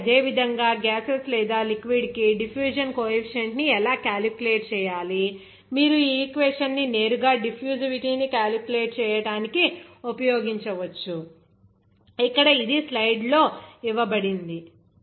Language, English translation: Telugu, So, similarly, how to calculate that diffusion coefficient for gases or liquid, you can use directly this equation for the calculation of the diffusivity, here it is given as in the slide